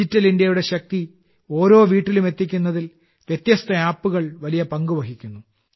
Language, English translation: Malayalam, Different apps play a big role in taking the power of Digital India to every home